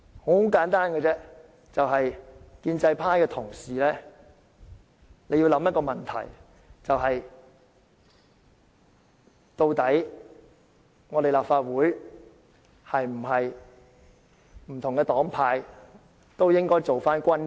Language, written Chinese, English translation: Cantonese, 我希望建制派的同事考慮一個問題，就是不同黨派的議員在立法會內是否均應做回君子？, I hope that pro - establishment colleagues would consider whether Members of different political parties and groupings should become superior men in the Legislative Council